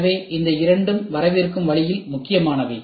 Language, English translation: Tamil, So, these two are also important in the coming way